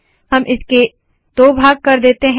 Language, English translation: Hindi, So let us break it into two